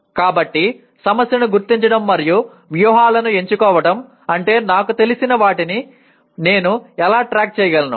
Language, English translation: Telugu, So identifying the problem and choosing strategies would mean how can I keep track of what I know